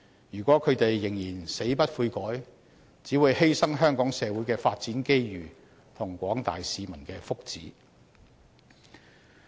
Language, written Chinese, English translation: Cantonese, 如果他們仍然死不悔改，只會犧牲香港社會的發展機遇和廣大市民的福祉。, If they remain unrepentant they will sacrifice the development opportunities for Hong Kong and the benefits of the general public